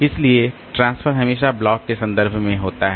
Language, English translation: Hindi, So, transfer is always in terms of blocks